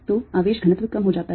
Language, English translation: Hindi, so charge density goes down